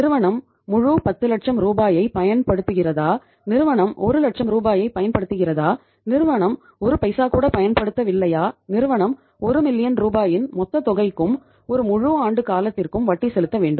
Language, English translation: Tamil, Whether the firm uses entire 10 lakh rupees, whether the firm uses 1 lakh rupees, whether the firm does not use even a single penny of that, firm has to pay the interest on the entire amount of 1 million rupees and for a period of the whole of the year